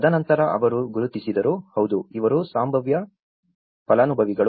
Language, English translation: Kannada, And then they identified, yes these are the potential beneficiaries